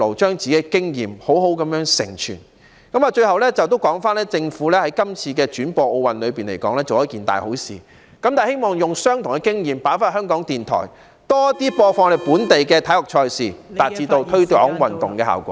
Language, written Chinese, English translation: Cantonese, 最後，政府今次轉播奧運，可說是做了一件"大好事"，我希望政府把同樣的經驗應用在香港電台，播放更多本地體育賽事......以達致推廣運動的效果。, Finally the Government has done a great job in broadcasting the Olympic Games this time . I hope the Government will apply the experience to Radio Television Hong Kong and broadcast more local sports events to achieve the effect of promoting sports